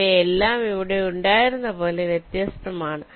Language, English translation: Malayalam, they are all distinct as it was here